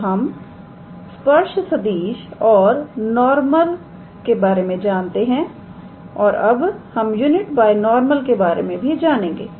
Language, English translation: Hindi, So, we know tangent vector, we know normal and now we learn about unit binormal